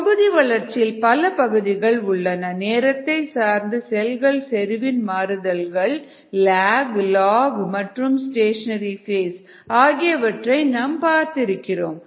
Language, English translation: Tamil, these are the various parts of the batch growth that we have seen: the variation of cell concentration with time, the lag, log and the stationary phase